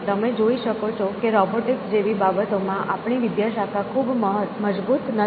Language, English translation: Gujarati, So, you can see our department is not very strong in things like robotics